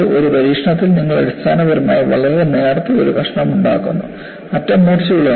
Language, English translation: Malayalam, In an experiment, you essentially make a very very thin slit, sharp enough at the end